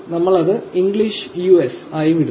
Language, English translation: Malayalam, We leave it to be English US